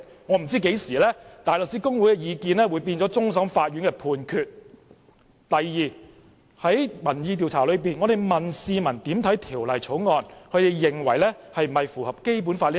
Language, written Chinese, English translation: Cantonese, 我不知何時大律師公會的意見會變成終審法院的判決；第二，在民意調查中，我們向市民提出有關《條例草案》是否符合《基本法》的問題。, I do not know since when the Bar Associations opinions have become the judgments of the Court of Final Appeal . Second in the opinion poll we asked the public whether the Bill complied with the Basic Law